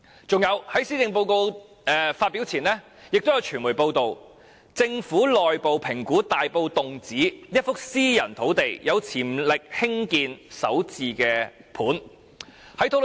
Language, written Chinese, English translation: Cantonese, 此外，在施政報告發表前，亦有傳媒報道，政府內部評估大埔洞梓一幅私人土地有潛力興建首置單位。, Moreover before the presentation of the Policy Address there were media reports about a piece of private land in Tung Tsz Tai Po being assessed by the Government as having potential for Starter Homes construction